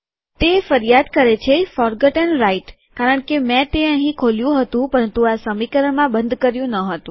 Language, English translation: Gujarati, It comes and complains forgotten right, because I opened it here but I didnt close it in the same equation